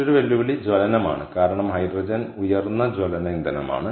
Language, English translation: Malayalam, and the other challenge is combustion, because hydrogen is highly combustible fuel